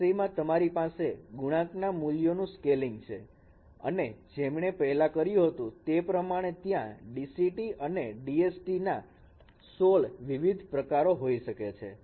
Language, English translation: Gujarati, In this case also you have scaling of the coefficient values and there are as you as I have mentioned there could be 16 different types of DCIT and DSTs